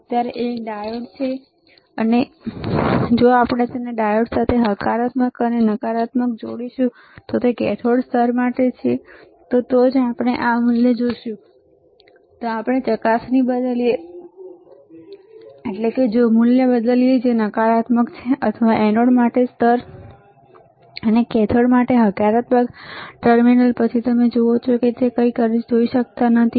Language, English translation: Gujarati, Right now, is a diode, and if we connect it the positive to the anode and negative there is a ground to cathode, then only we will see this value if we change the probe that is, if in change the value that is negative or ground to the anode, and the positive terminal to the cathode then you see, you cannot see anything